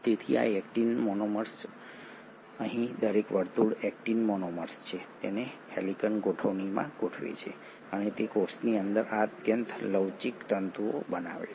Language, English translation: Gujarati, So these Actin monomers, so here each circle is an actin monomer, they arrange in an helical arrangement and they form this highly flexible fibres within the cell